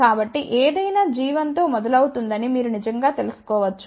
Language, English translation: Telugu, So, you can actually you know anything which start with starts with g 1 right